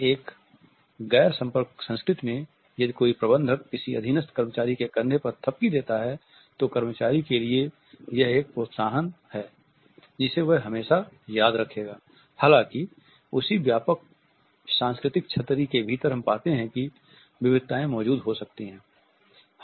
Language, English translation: Hindi, In a non contact culture if a manager gives a pat on the shoulder of a subordinate employee, for the employee it is an encouragement which would always be remembered